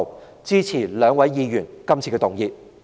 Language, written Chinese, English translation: Cantonese, 我支持兩位議員今次的議案。, I support the motions of the two Members